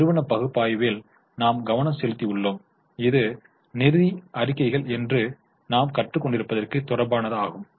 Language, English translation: Tamil, We had focused on company analysis which is related to what we are learning, that is financial statements